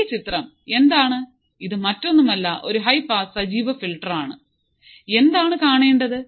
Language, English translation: Malayalam, So, what is this figure, this is nothing but my high pass active filter